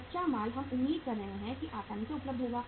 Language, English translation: Hindi, Raw material we are expecting it will be easily available